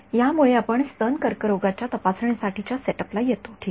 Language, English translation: Marathi, This sort of brings us to the setup of for breast cancer detection ok